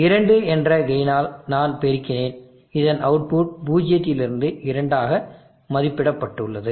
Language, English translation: Tamil, I multiplied by a gain of two, the output of this has valued from zero to two